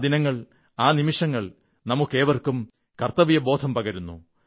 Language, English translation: Malayalam, That day, that moment, instills in us all a sense of duty